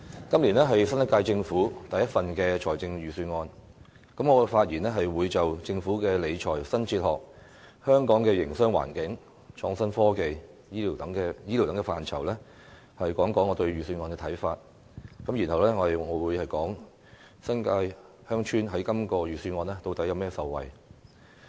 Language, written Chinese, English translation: Cantonese, 今年的預算案是新一屆政府第一份預算案，我在發言中會就政府的理財新哲學、香港的營商環境、創新科技及醫療等範疇，談談我對預算案的看法，然後我會談談新界鄉村在這份預算案中能有甚麼受惠。, This years Budget is the first budget of the new Government . I will express my views on the Budget in areas such as the new fiscal philosophy of the Government the business environment of Hong Kong innovation and technology as well as health care . Then I will talk about how villages in the New Territories can benefit from the Budget